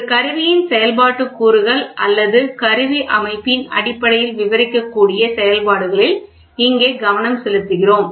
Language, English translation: Tamil, Here we focus on operations which can be described in terms of functional elements of an instrument or the instrument system